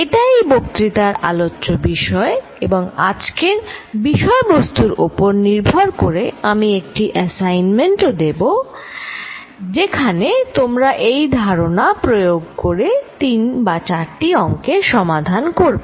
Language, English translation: Bengali, This is the program for this lecture and based on what we cover today I am also going to give you an assignment, where you solve three or four problems employing these concepts